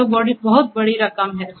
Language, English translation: Hindi, That is a huge amount